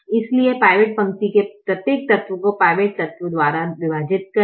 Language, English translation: Hindi, so divide every element of the pivot row by the pivot element